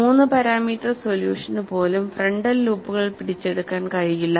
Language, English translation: Malayalam, Even a 3 parameter solution is not able to capture the frontal loops